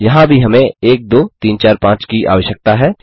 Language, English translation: Hindi, Here also we need 1 2 3 4 5